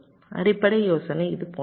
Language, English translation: Tamil, the basic idea is like this